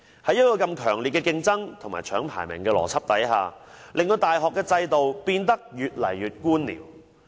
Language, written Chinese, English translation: Cantonese, 在如此強烈競爭和搶排名的邏輯下，大學制度變得越來越官僚。, The intense competition and rank fighting have made the university system increasingly bureaucratic